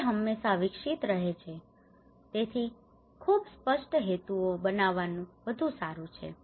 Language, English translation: Gujarati, It is always evolving, so it is better to make a very clear objectives